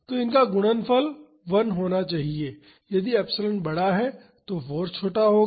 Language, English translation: Hindi, So, the product should be 1 so, if epsilon is large then force will be smaller